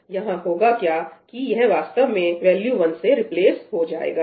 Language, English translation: Hindi, What happened was this actually got replaced with the value 1